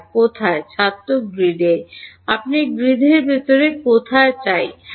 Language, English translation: Bengali, You want somewhere inside the grid yeah